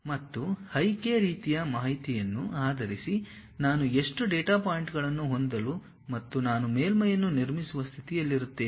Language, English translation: Kannada, And, based on my i, k kind of information how many data points I would like to have, I will be in a position to construct a surface